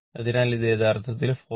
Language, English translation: Malayalam, So, this is coming actually 44